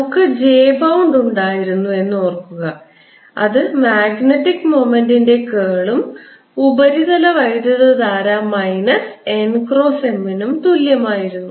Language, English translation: Malayalam, recall that we had j bound, which was curl of magnetic moment, and surface current, which was minus n cross m